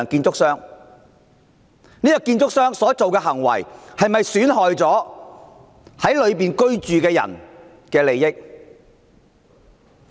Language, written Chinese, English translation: Cantonese, 這間建築商所做的事是否損害了樓宇內居民的利益？, Is the action of the construction company not undermining the interest of the residents of the building?